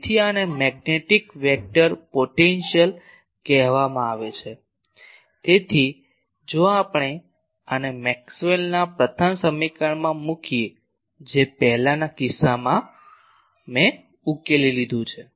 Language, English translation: Gujarati, So, this is called magnetic vector potential, so if we put this into Maxwell’s first equation which in earlier cases I solved